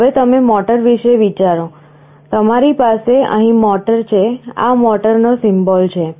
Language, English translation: Gujarati, Now you think of the motor, you have the motor out here; this is the symbol of a motor